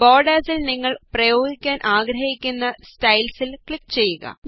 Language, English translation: Malayalam, Click on one of the styles you want to apply on the borders